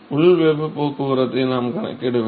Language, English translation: Tamil, We just have to calculate the inside heat transport